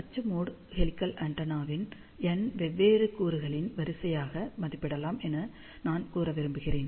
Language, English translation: Tamil, I just want to mention axial mode helical antenna can be approximated as array of n different elements